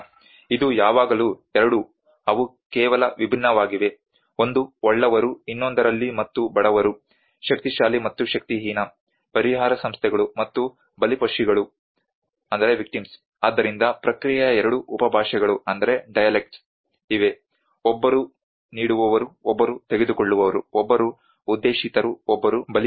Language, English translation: Kannada, It is always 2 they are just distinct one is the haves and the other one have nots, the powerful and the powerless, the relief organizations and the victims, so there is the 2 dialects of the process, one is a giver one is a taker, one is a intender one is the victim